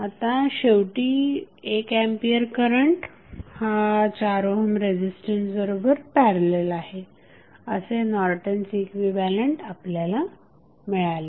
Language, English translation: Marathi, So, finally you got the Norton's equivalent where you have 1 ampere in parallel with 4 ohm resistance